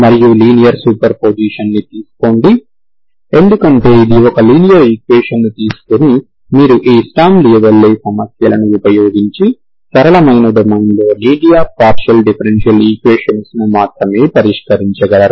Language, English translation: Telugu, And take a linear superposition because it is a linear equation, you can only solve linear partial differential equations on a simpler domains using this sturm louisville problems